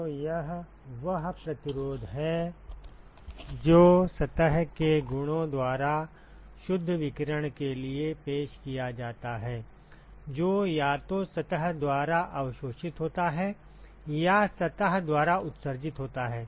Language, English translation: Hindi, So, this is the resistance that is offered by the properties of the surface for net radiation that is either absorbed by the surface or emitted by the surface